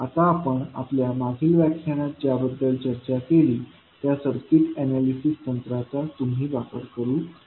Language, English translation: Marathi, Now, you will use the circuit analysis techniques, what we discussed in our previous lectures